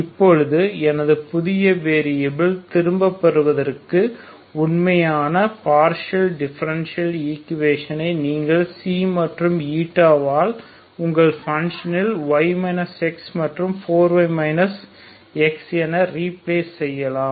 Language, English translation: Tamil, Now to get back my new variables so the actual partial differential equation you can also simply replace X Xi Xi and eta as your function Xi and eta, are Y minus X and Y minus 4 Y minus X ok